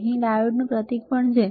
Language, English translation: Gujarati, There is a symbol of diode here also